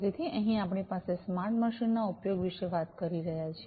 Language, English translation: Gujarati, So, here we are talking about use of smart machines